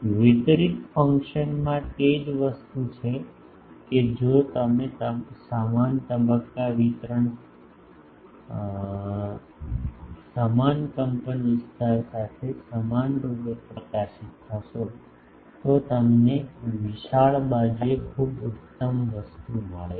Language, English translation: Gujarati, The same thing in a distributed fashion that if you uniformly illuminate with same phase distribution, same amplitude then you get very peaky thing along the broad side